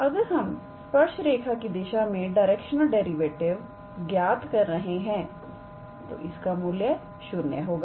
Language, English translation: Hindi, If we calculate the direction derivative along the tangent line, then in that case it will be always 0